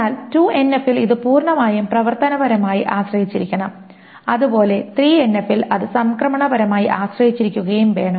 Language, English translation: Malayalam, And in the 2NF, it should fully functionally depend and in 3NF it should transitively depend